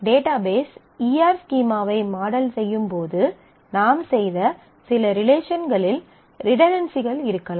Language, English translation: Tamil, Some of the relationships that we may have modeled, which we have done in doing the database E R schema could have redundancy